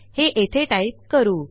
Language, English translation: Marathi, Let me type it here